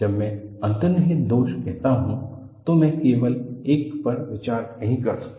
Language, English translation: Hindi, When I say inherent flaws, I cannot consider only one